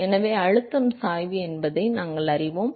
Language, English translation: Tamil, So, therefore, we know what the pressure gradient is